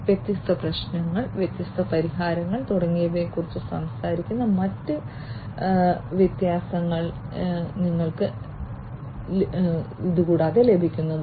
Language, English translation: Malayalam, You will be able to get the different other differences talking about different issues, different solutions and so on